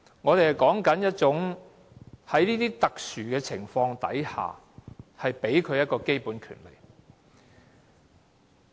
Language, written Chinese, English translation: Cantonese, 我們說的是，在特殊的情況下，給予他們基本的權利。, We are talking about giving them basic rights under special circumstances